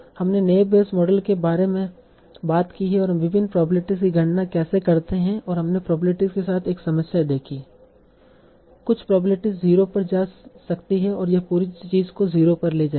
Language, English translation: Hindi, So we talked about the Nivey's model and how do we compute various probabilities and we saw one problem with the probabilities that some probabilities might go to zero and that will take the whole thing to go to zero